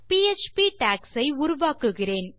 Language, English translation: Tamil, I am creating my PHP tags here